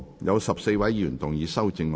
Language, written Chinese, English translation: Cantonese, 有14位議員要動議修正案。, Fourteen Members will move amendments to this motion